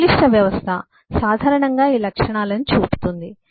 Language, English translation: Telugu, complex system typically show these properties